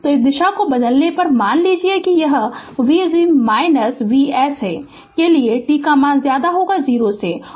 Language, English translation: Hindi, When we change this direction suppose this way it will V minus V S and for t greater than 0 u t is equal to 1 it will be V s, right